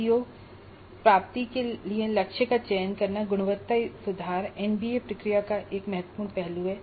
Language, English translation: Hindi, This selecting the target for CO attainment is again a crucial aspect of the NBA process of quality improvement